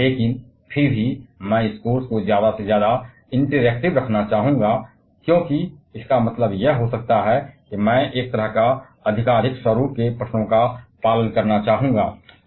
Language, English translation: Hindi, But still I would like to keep this course as much interacting as I can so that that means, I would like to follow a more questions as I kind of a pattern